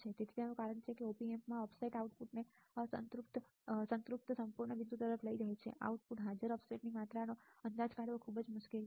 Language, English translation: Gujarati, So, the reason is this is because the offset in this Op Amp is driving the output to a completely saturated point it is very difficult to estimate the amount of offset present at the output right